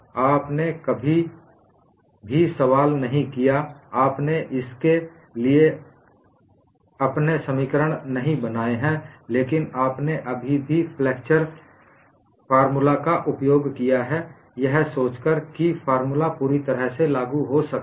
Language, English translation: Hindi, You never questioned, you have not derived your equations for this, but you have still utilized flexure formula thinking the formula is fully applicable